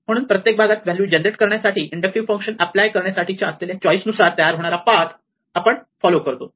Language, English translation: Marathi, So, we follow the path according to the choices that we made in applying the inductive function in order to generate the value at each parts